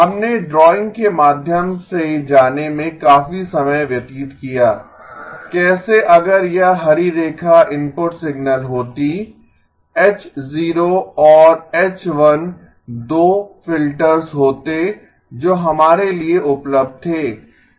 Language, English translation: Hindi, We did spend a fair amount of time going through the drawing, how if this the green line was the input signal, H0 and H1 were the 2 filters that were available to us